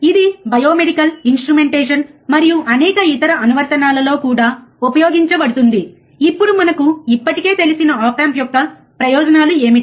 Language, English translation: Telugu, It is also used in biomedical instrumentation and numerous other application now what are the advantages of op amp we already know, right